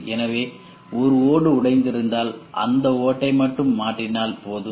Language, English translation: Tamil, So, if there is one tile broken, you have to replace only that tile and not the entire floor